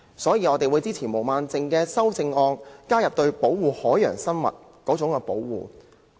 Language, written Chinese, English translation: Cantonese, 因此，我們會支持毛孟靜議員的修正案，加入對保護海洋生物的保護。, For this reason we will support Ms Claudia MOs amendment adding the protection of marine life